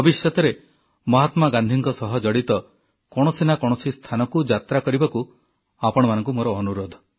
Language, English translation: Odia, I sincerely urge you to visit at least one place associated with Mahatma Gandhi in the days to come